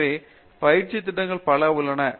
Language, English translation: Tamil, So, we have a number of these training programs